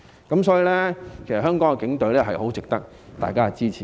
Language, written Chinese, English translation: Cantonese, 因此，香港警隊很值得大家支持。, For such reasons Hong Kong Police Force merits everyones support